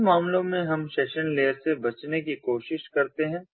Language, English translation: Hindi, you know, in some cases we try to avoid the session layer